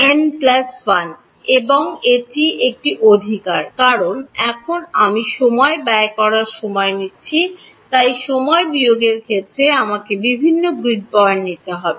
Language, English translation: Bengali, n plus 1 that is a right because now I am taking a time derivative so, I have to take different grid points in time minus